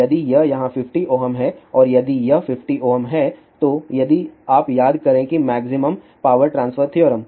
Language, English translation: Hindi, If this is 50 ohm here and if this is 50 ohm if you recall there is a maximum power transfer theorem